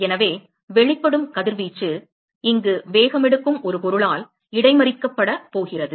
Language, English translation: Tamil, So, the radiation that is emitted is going to be intercepted by an object which is paced here